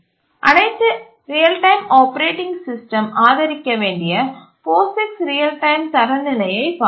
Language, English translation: Tamil, And then we looked at a standard, the POIX real time standard, which all real time operating systems must support